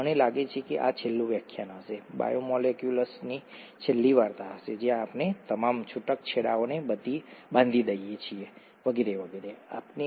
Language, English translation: Gujarati, I think this would be the last lecture last story in the biomolecules where we tie up all the loose ends and so on so forth